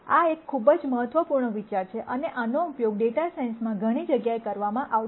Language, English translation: Gujarati, This is a very, very important idea, and this will be used in many many places in data science